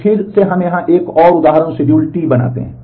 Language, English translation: Hindi, So, again we create another example schedule T here